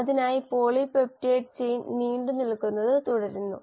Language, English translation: Malayalam, This polypeptide chain; so let us say this is now the polypeptide chain